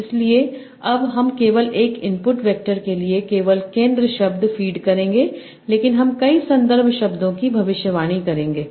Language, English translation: Hindi, So now I will feed only the center word here, only one input vector, but I will predict multiple context ones